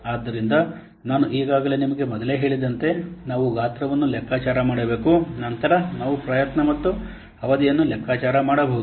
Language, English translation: Kannada, So as I have already told you, first we have to compute size, then we can compute what effort and the duration